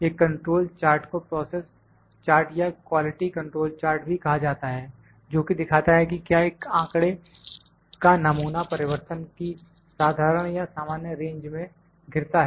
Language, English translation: Hindi, A control chart also known as process chart or quality control chart is a graph that shows whether a sample of data falls within the common or normal range of variation